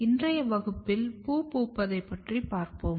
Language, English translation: Tamil, In today’s class we are going to discuss about Flowering